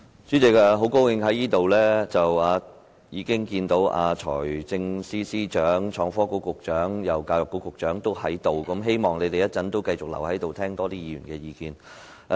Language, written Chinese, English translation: Cantonese, 主席，很高興看到財政司司長、創新及科技局局長和教育局局長皆在席，希望他們會繼續留在席上，多聆聽議員的意見。, Chairman I am so glad to see that the Financial Secretary the Secretary for Innovation and Technology and the Secretary for Education are all present at the meeting . I hope that they will stay in the Chamber and listen more to Members views